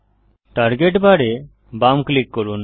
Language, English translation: Bengali, Left click the target bar